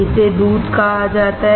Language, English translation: Hindi, This is called milk